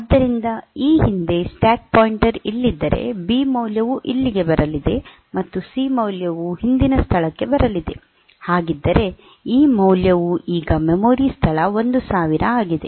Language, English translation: Kannada, So, if previously the stack pointer was a here, the B value will be coming here, and the C value will be coming to the previous location, if so, if these value is now this is memory location 1000